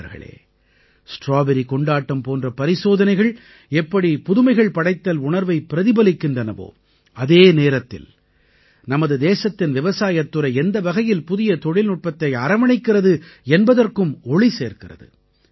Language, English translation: Tamil, experiments like the Strawberry Festival not only demonstrate the spirit of Innovation ; they also demonstrate the manner in which the agricultural sector of our country is adopting new technologies